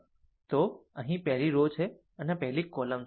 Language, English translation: Gujarati, So, this is the first row and this is the first column